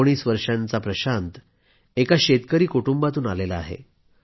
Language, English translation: Marathi, Prashant, 19, hails from an agrarian family